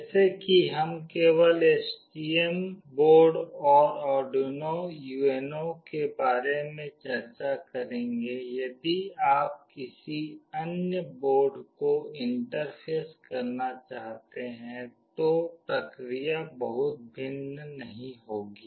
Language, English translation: Hindi, As we will be only discussing about STM board and Arduino UNO, if you want to interface any other board the process will not be very different